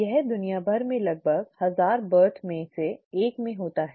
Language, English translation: Hindi, It occurs in about 1 in 1000 births across the world